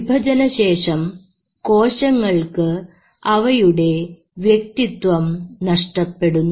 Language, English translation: Malayalam, After division, these cells lose their individual identity